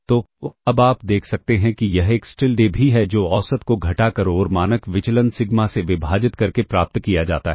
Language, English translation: Hindi, So, now, you can see this Xtilda is also which is derived by subtracting the mean and dividing by the standard deviation sigma